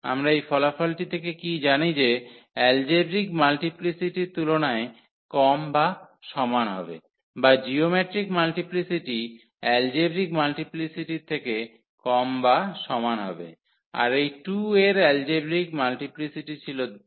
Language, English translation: Bengali, What we know from that result that algebraic multiplicity is less than or equal to the, or the geometric multiplicity is less than equal to the algebraic multiplicity that the algebraic multiplicity of this 2 was 2